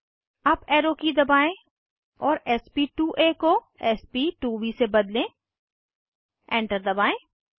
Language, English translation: Hindi, Press up arrow key and change sp2a to sp2b, press Enter